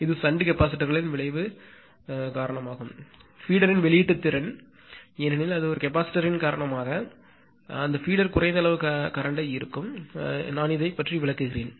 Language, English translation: Tamil, This is also because of the shunt capacitors effect; release capacity of feeder because it will draw that because of shunt capacitor that feeder will draw less amount of current we will come to that also